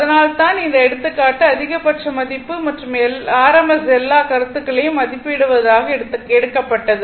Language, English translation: Tamil, So, that is why this example is taken such that maximum value and rms value all the concept our concept will be clear